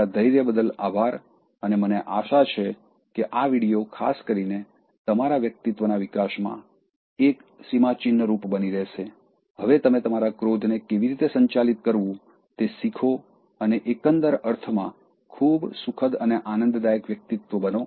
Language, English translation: Gujarati, Thank you for your patience and I hope this video, particularly will be a milestone in your personality development so that after watching this, you learn how to manage your anger and become a very pleasant and pleasing personality in an overall sense